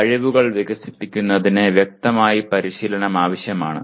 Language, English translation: Malayalam, And development of the skills requires practice obviously